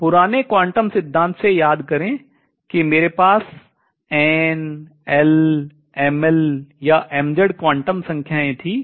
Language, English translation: Hindi, Now remember from the old quantum theory I had n l n m l or m z quantum numbers